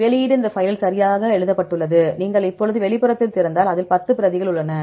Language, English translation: Tamil, Then output is written this file right you can see this now the outfile if you open the outfile it contains 10 replicates okay